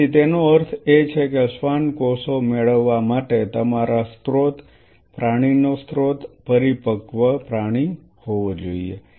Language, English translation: Gujarati, So, it means in order to obtain a Schwann cells your source animal source has to be a matured animal